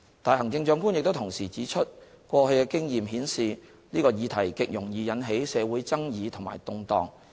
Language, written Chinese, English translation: Cantonese, 但行政長官亦同時指出，過去經驗顯示這個議題極容易引起社會爭議和動盪。, Nonetheless the Chief Executive has also pointed out that past experience has shown that this subject is highly controversial and can easily cause social disturbance